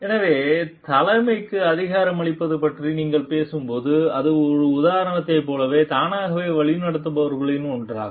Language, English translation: Tamil, So, it is like when you are talking of empowering leadership it is one of those is leading by itself like example